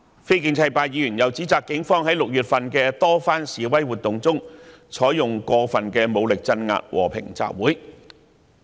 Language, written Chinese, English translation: Cantonese, 非建制派議員又指責警方在6月的多次示威活動中，使用過分武力鎮壓和平集會。, The non - pro - establishment Members also accuse the Police of using excessive force to suppress peaceful assemblies during protest activities in June